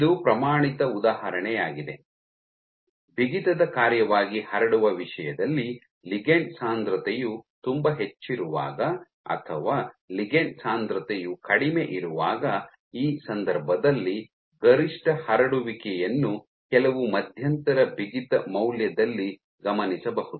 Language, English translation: Kannada, So, this is a in a standard example let me say in terms of spreading as a function of stiffness, you might see if your ligand density is low versus when ligand density is very high, in this case what you observe is the maximum spreading is observed at some intermediate stiffness value